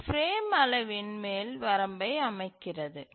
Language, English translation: Tamil, So, this sets an upper bound on the frame size